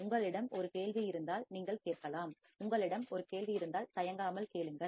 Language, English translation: Tamil, And if you have an query you can ask, if you have an query feel free to ask